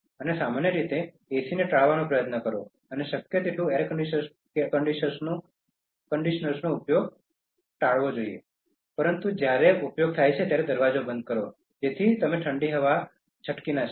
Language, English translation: Gujarati, And generally, try to avoid AC and as much as possible try to avoid using air conditioners, but when in use close the door, so that you will not let the cool air escape